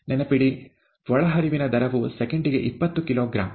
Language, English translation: Kannada, Remember, input rate is twenty kilogram per second